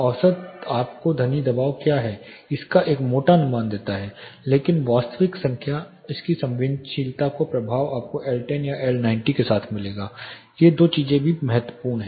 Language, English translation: Hindi, The average gives you a more or lesser rough estimate of what the sound pressure is, but actual number the sensitivity of it the impact of it you will get with L10 or L90 these two things are also important